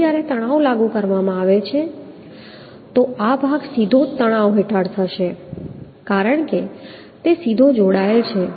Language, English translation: Gujarati, Now when the tension force is applied, so this portion will be under tension directly as it is directly connected, but this portion is under tension